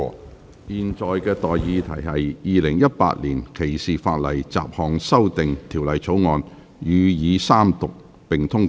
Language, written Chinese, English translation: Cantonese, 我現在向各位提出的待議議題是：《2018年歧視法例條例草案》予以三讀並通過。, President I move that the Discrimination Legislation Bill 2018 be read the Third time and do pass